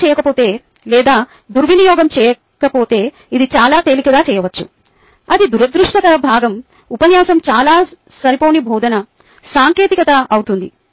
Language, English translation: Telugu, if not done properly or misused, which can be very easily done thats unfortunate part the lecture becomes highly in a ah, highly inadequate teaching technique